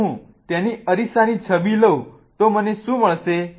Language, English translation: Gujarati, If I take its mirror image, what do I find